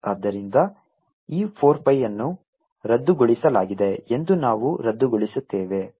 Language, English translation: Kannada, this four pi gets canceled